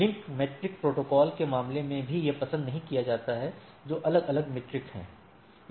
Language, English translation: Hindi, So, that is not preferred even in case of a link state protocol that is different metric